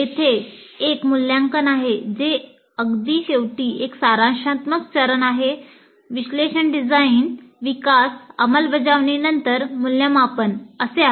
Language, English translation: Marathi, There is an evaluate which is summative phase at the very end, analysis, design, development, implement, then evaluate